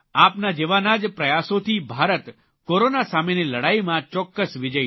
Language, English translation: Gujarati, Due to efforts of people like you, India will surely achieve victory in the battle against Corona